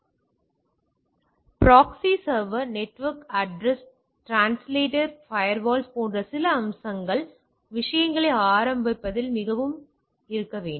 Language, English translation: Tamil, So, some of the things like proxy server, network address translator, firewall are some of the features or the things